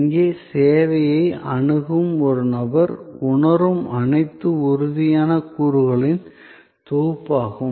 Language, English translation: Tamil, So, everything that a person accessing the service here perceives, those are all set of tangible elements